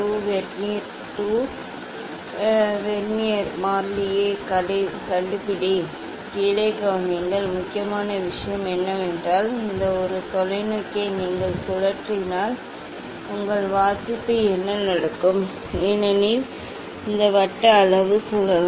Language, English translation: Tamil, next Vernier 2 Vernier 1, Vernier 2, find out the Vernier constant, note down then important thing is that important thing is that if you rotate this one telescope, then what happens your reading will change, because this circular scale is rotating